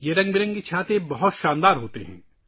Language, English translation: Urdu, These colourful umbrellas are strikingly splendid